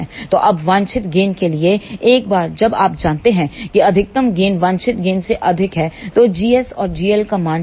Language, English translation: Hindi, So, now, for desired gain once you know that maximum gain is more than the desired gain, choose the value of g s and g l